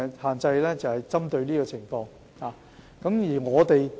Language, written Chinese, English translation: Cantonese, "限奶令"是針對這種情況而實施的。, It is under this circumstance that the restriction on powdered formula is implemented